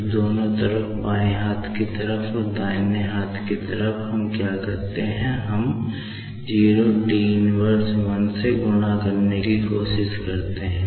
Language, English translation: Hindi, So, both the sides, both the left hand side and the right hand side, what we do is, we try to we multiply by 01T −1